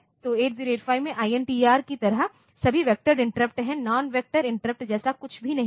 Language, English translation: Hindi, So, 8 0 8 5 it had got only a few vectored interrupts and INTR are all non vectors